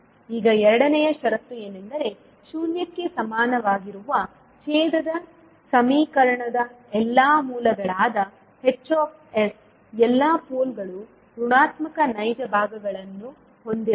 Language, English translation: Kannada, Now the second condition is that all poles of h s that is all roots of the denominator equation that is d s equal to zero must have negative real parts